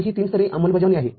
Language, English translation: Marathi, So, this is a three level implementation